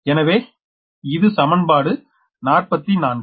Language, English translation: Tamil, you apply equation forty four